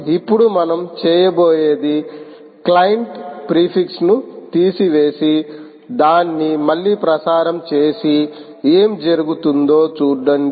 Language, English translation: Telugu, now what we will do is remove the ah client prefix and transmit it again and see what happens